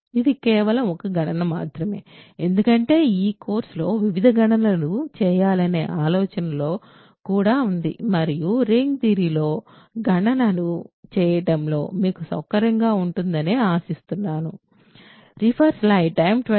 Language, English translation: Telugu, So, this is just a computation I wanted to do this because in this course, the idea is also to do various computations and with the hope that you get comfortable with doing computations in ring theory